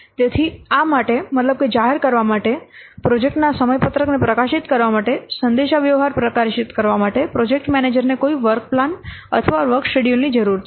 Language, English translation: Gujarati, So, for this, that means for publicizing, for publishing the communicate, for publishing the project schedules, we need or the project manager needs some form of work plan or work schedule